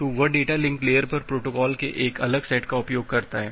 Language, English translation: Hindi, So, that uses a different set of protocol at the data link layer